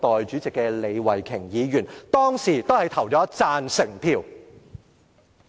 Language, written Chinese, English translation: Cantonese, 上述議員當時均投了贊成票。, These Members have all voted for the proposal back then